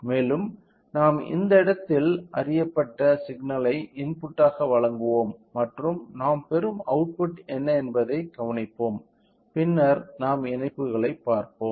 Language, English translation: Tamil, And, we will provide an input known signal at this point and will observe what is a output we are getting, then we can we will calculate output by input in order to understand the gain let us see the connections